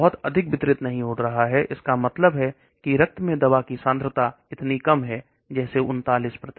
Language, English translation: Hindi, It is not getting distributed too much that means the concentration of the drug in the blood is so low, all these 39%